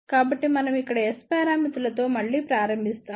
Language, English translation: Telugu, So, we start again with the S parameters over here